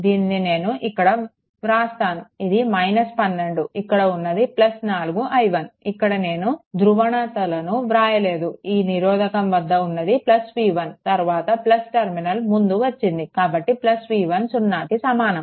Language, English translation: Telugu, So, it will be if I write here it will be minus 12 right then it will be plus 4 i 1 right I am not putting polarities this is the thing resistor plus 4 i 1, then encountering plus terminal first I told you several time right